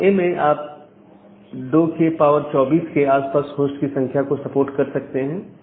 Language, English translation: Hindi, So, in case of class A you can support close to 2 to the power 24 number of host